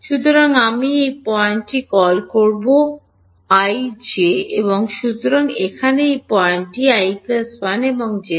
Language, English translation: Bengali, So, I will call this point i, j and therefore, this point over here is (i plus 1, j plus 1)